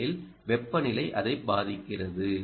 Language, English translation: Tamil, because temperature is affecting it